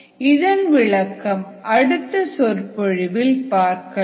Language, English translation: Tamil, we will solve this problem in the next lecture